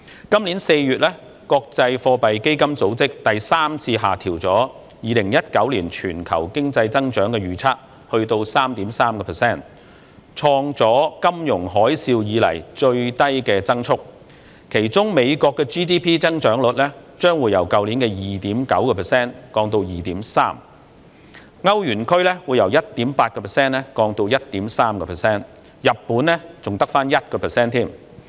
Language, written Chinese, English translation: Cantonese, 今年4月，國際貨幣基金組織第三次下調2019年全球經濟增長預測至 3.3%， 創下金融海嘯以來的最低增速，其中美國 GDP 增長率將從去年的 2.9% 降至 2.3%， 歐羅區從 1.8% 降至 1.3%， 日本則只有 1%。, In April this year the International Monetary Fund lowered for the third time the forecast of global economic growth in 2019 to 3.3 % hitting the lowest growth rate since the financial tsunami . Among others the GDP growth rate of the United States would decrease to 2.3 % from 2.9 % of last year . That of the Euro area would drop to 1.3 % from 1.8 % and that of Japan would be only 1 %